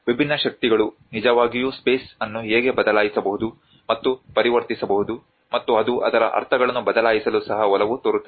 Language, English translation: Kannada, How different forces can actually alter and transform the space and it can also tend to shift its meanings